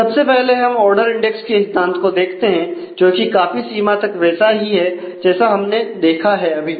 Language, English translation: Hindi, So, let us look at the first concept of ordered index which is pretty much like what we have just sent